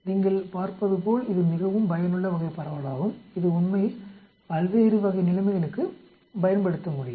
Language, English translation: Tamil, As you can see it is a very useful type of distribution which can be applied to many different situations actually